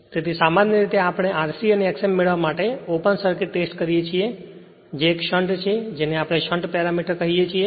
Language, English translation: Gujarati, So, generally open circuit test we for to obtain R c and X m that is a sh[unt] we call a shunt parameter because these are connected in parallel